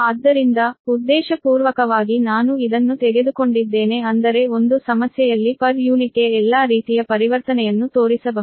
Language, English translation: Kannada, so this, intentionally i have taken this such that in one problem all sort of conversation to per unit can be shown right, because this are the